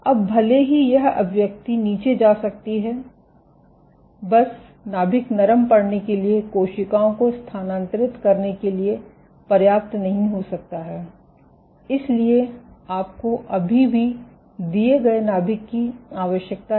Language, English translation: Hindi, Now, even though this expression might go down just nucleus softening may not be sufficient for having the cells to migrate, so you still required the given that the nucleus is